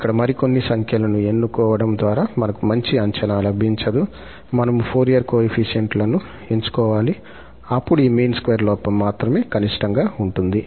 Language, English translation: Telugu, We cannot have a better approximation by choosing some other numbers here, we have to choose the Fourier coefficients then only this mean square error is going to be a minimum